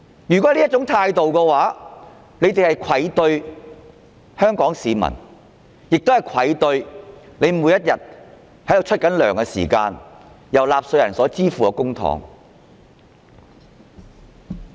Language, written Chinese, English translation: Cantonese, 如果他們抱有這種態度，便愧對香港市民，亦愧對繳稅支付其薪酬的納稅人。, If they hold such an attitude they should feel ashamed to face the people of Hong Kong . They should also feel ashamed to face the taxpayers who pay for their remunerations